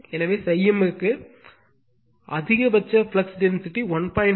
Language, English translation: Tamil, So, phi m is given maximum flux density 1